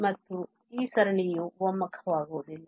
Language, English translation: Kannada, And hence, this series will not converge